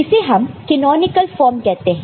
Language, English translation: Hindi, And this is called canonical form right